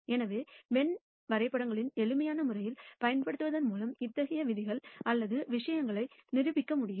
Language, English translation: Tamil, So, such rules or things can be proved by using Venn Diagrams in a simple manner